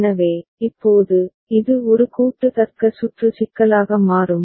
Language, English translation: Tamil, So, now, this becomes a combinatorial logic circuit problem